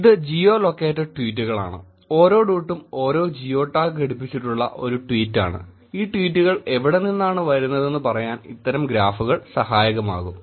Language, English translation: Malayalam, This is Geo Located tweets where each dot is a tweet which has a geo tag attached with it and such kind of graphs can be helpful in saying where these tweets are coming from